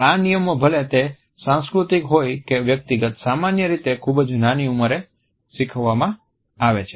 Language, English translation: Gujarati, These display rules whether they are cultural or personal are usually learnt at a very young age